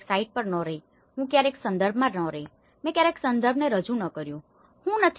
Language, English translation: Gujarati, I have never been to the site, I never been to the context, I never introduced to the context